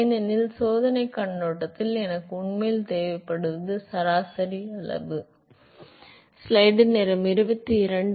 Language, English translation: Tamil, Because from experimental point of view what I really require is the average quantity and the local quantity is not of much use ok